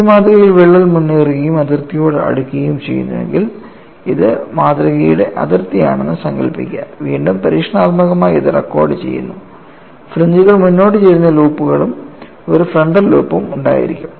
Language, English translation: Malayalam, Suppose in this specimen also if the crack advances and comes closer to the boundary, imagine that this is the boundary of the specimen, then again experimentally it is recorded, and the fringes have forward tilted loops and a frontal loop